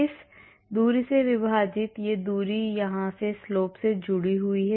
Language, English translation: Hindi, This distance divided by this distance the approximated to the slope here